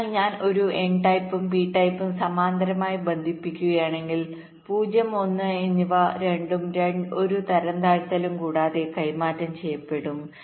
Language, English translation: Malayalam, so if i connect an n type and p type in parallel, then both zero and one will be transmitted without any degradation